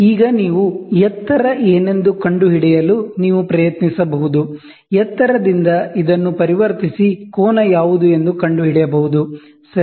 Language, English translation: Kannada, So, now what you have is, you can try to figure out what is the height; from the height, you can convert this and find out what is the angle, ok